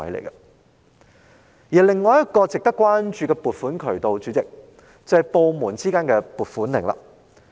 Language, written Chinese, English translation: Cantonese, 主席，另一個值得關注的撥款渠道是部門之間的撥款令。, Chairman another funding channel which is the cause for our concern is the issuance of allocation warrants between different government departments